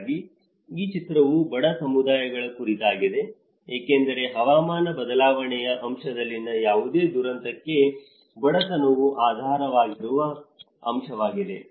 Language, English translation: Kannada, So, this film is all about the poor communities because the poverty is an underlying factor for any of disaster in the climate change aspect